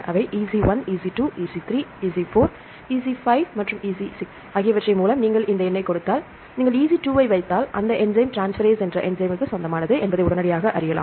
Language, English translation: Tamil, So, EC 1, EC 2, EC 3, EC 4, EC 5 and EC 6 if you give this number for example, if you put EC 2, immediately we know that that enzyme belongs to transferase